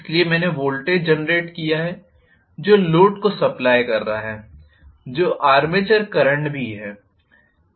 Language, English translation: Hindi, So, I have generated voltage which is supplying the load, which is also the armature current